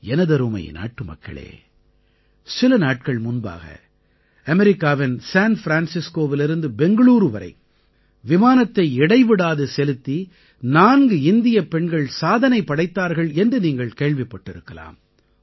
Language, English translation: Tamil, you must have witnessed a few days ago, that four women pilots from India took command of a nonstop flight from San Francisco, America to Bangalore